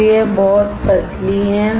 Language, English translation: Hindi, So, it is extremely thin